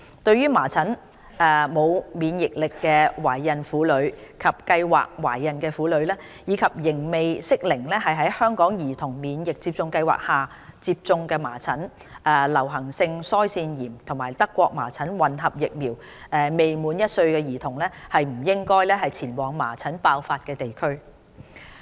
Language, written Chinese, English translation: Cantonese, 對麻疹沒有免疫力的懷孕婦女及計劃懷孕的婦女，以及仍未適齡在香港兒童免疫接種計劃下接種"麻疹、流行性腮腺炎及德國麻疹混合疫苗"的未滿1歲兒童，均不應前往麻疹爆發地區。, Pregnant women and women preparing for pregnancy who are not immune to measles as well as children aged below one who are not due for the first dose of the Measles Mumps and Rubella combined vaccine under HKCIP are advised not to travel to places with outbreaks of measles